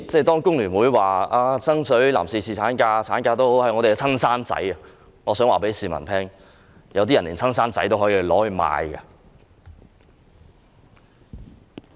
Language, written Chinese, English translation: Cantonese, 當工聯會說爭取侍產假及產假是他們的"親生仔"，我想告訴市民，有些人連親生子女也可以賣掉。, When FTU says that paternity leave and maternity leave are its own children I wish to tell the public that some people can even sell their own children